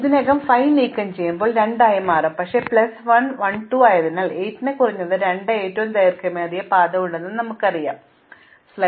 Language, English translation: Malayalam, Now likewise when I remove this 5, this 2 will become 1, but because 1 plus 1 is 2 and we already know that 8 has a longest path of at least 2, we do not make any change in the 2